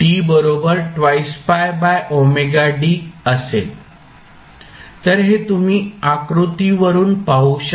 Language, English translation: Marathi, So, this you can see from the figure